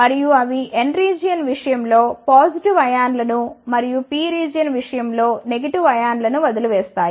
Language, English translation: Telugu, And, they will leave behind the positive ions in case of N region and the negative ions in case of P region